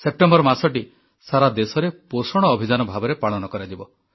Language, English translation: Odia, The month of September will be celebrated as 'Poshan Abhiyaan' across the country